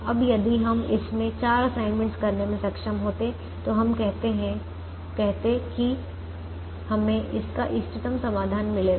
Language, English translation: Hindi, now if we were able to make four assignments in this, then we said we would get